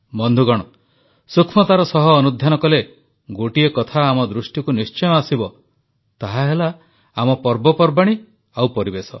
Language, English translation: Odia, Friends, if we observe very minutely, one thing will certainly draw our attention our festivals and the environment